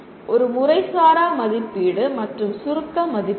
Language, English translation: Tamil, A formative assessment and summative assessment